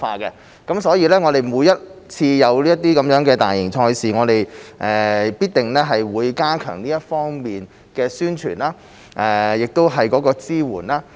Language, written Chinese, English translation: Cantonese, 因此，每次有大型賽事，我們必定會加強這方面的宣傳和支援。, Thus whenever a major sport event is held we will certainly strengthen our efforts in publicity and support